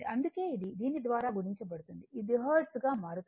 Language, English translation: Telugu, So, that is why this, this is multiplied by it is a converted to Hertz it was Kilo Hertz